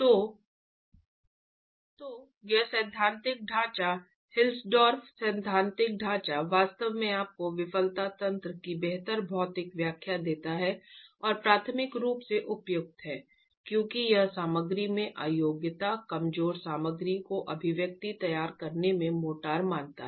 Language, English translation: Hindi, So this theoretical framework, the HILSTOV theoretical framework actually gives you a better physical interpretation of the failure mechanism and is appropriate primarily because it considers the inelasticity in the material, the weaker material, the motor in formulating the expression itself